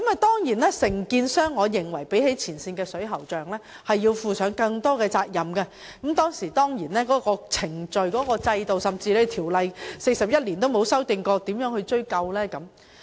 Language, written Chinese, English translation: Cantonese, 當然，比起前線水喉匠，我認為承建商須負上更大責任，但在有關程序、制度甚至條例於41年間從未修訂的情況下，當局可以如何追究？, In my opinion contractors should of course take on a greater responsibility when compared with plumbers working in the front line but as the relevant procedures system and even legislation have never been revised in the past 41 years how can the Government affix the responsibility?